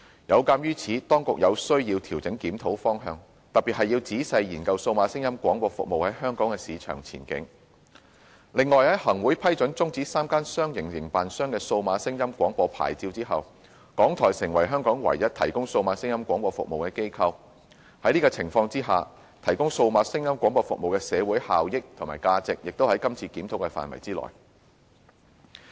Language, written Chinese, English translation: Cantonese, 有鑒於此，當局有需要調整檢討方向，特別是要仔細研究數碼廣播服務在香港的市場前景；另外，在行政長官會同行政會議批准終止3間商營營辦商的數碼廣播牌照後，港台成為香港唯一提供數碼廣播服務的機構，在此情況之下提供數碼廣播服務的社會效益和價值，也屬今次檢討範圍之內。, In view of this we have to adjust the direction of the review in particular comprehensively reviewing the future market prospects of DAB services in Hong Kong . On the other hand given that RTHK has become the sole operator providing DAB services in Hong Kong after the approval of termination of the DAB licences of the three commercial operators by the Chief Executive in Council the review would also cover the social benefits and values that the DAB services could bring under such circumstances